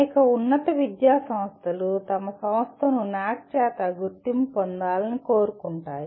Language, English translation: Telugu, Many of the higher education institutions also want to have their institution accredited by NAAC